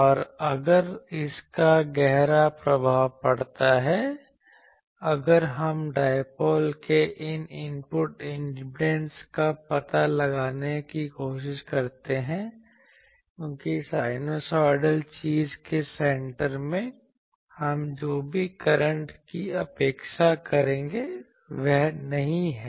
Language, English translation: Hindi, And, now if this is have a profound impact, if we try to find out the input impedance of the dipole, because at the center you see that by sinusoidal thing whatever we will expect the current that is not same